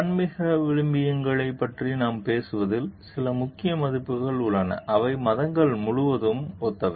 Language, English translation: Tamil, There are certain key values what we talk of spiritual values, which are similar across religions